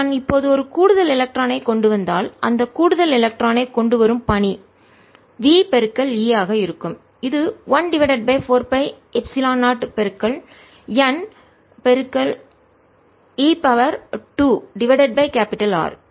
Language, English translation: Tamil, if i bring an extra electron now, so the work done, bringing that extra electron is going to be v times e, which is going to b one over four pi, epsilon zero, n, e square over r